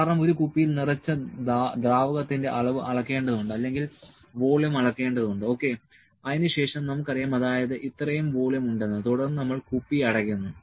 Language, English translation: Malayalam, Since the amount of liquid that is filled in a bottle is to be measured the volume has to be measured ok, then we know that this much volume is there then we close bottle